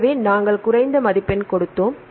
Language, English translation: Tamil, So, we gave the less score